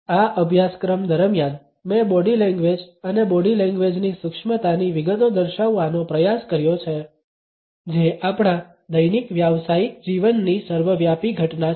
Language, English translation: Gujarati, During this course, I have attempted to delineate the nuance details of body language and body language is an omnipresent phenomenon of our daily professional life